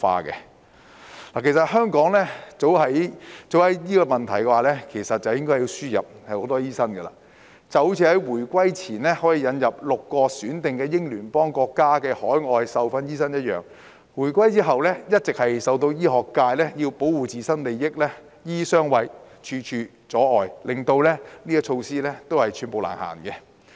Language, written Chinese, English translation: Cantonese, 其實香港早應就這個問題輸入更多醫生，正如回歸前可引入6個選定英聯邦國家的海外受訓醫生一樣；但回歸後，一直由於醫學界要保護自身利益，"醫醫相衞"、處處阻礙，令有關措施寸步難行。, In fact Hong Kong should have admitted more doctors to address this problem long time ago just as it admitted OTDs from six selected Commonwealth countries before the return of sovereignty . However after the reunification the medical profession has been trying to defend its own interests . Doctors are shielding each other and trying to impede the introduction of relevant policies in one way or another